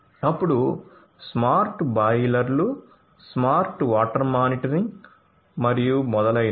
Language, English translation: Telugu, Then smart boilers, smart water monitoring and so on